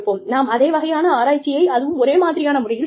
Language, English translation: Tamil, We are doing, the same kind of research, in the exact same manner